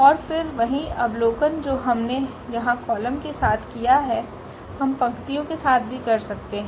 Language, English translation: Hindi, And again, the same observation which we have done here with the columns we can do with the rows as well